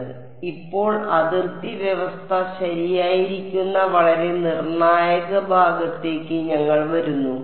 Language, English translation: Malayalam, So, now, we come to the very crucial part which is boundary condition right